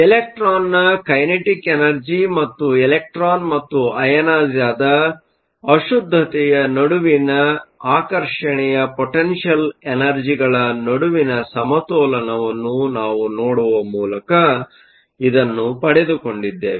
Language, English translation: Kannada, This we got by looking at the balance between the kinetic energy of the electron and the potential energy of attraction between the electron and the ionized impurity